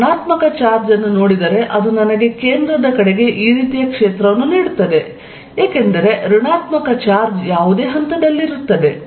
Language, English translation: Kannada, If I look at the negative charge it gives me a field like this towards the centre, because the negative charge at any point